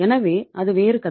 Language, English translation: Tamil, So that is a different story